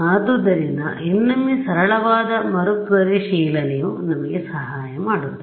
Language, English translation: Kannada, So, again a simple relooking is what will help us